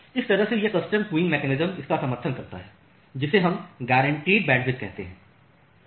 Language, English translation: Hindi, So, that way this custom queuing mechanism it supports what we call as the guaranteed bandwidth